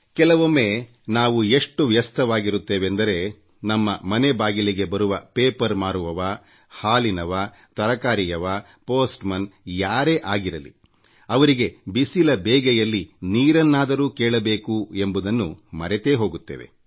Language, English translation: Kannada, Sometimes we are so busy, that we even forget to offer water to the newspaper boy, the milkman, the vegetable seller, the postman or anybody else who come to our house in peak summer days